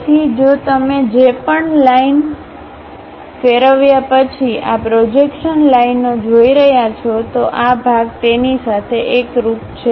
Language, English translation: Gujarati, So, if you are seeing this projection lines after revolving whatever that line, this part coincides with that